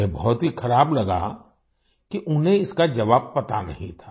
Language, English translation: Hindi, He felt very bad that he did not know the answer